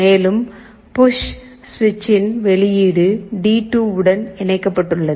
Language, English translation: Tamil, And the output of the push switch is connected to D2